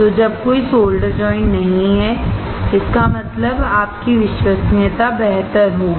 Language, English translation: Hindi, So, when there are no solder joints; that means, that your reliability would be better